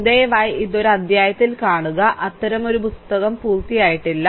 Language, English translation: Malayalam, So, please see it in a chapter, there is no such book it is completed, right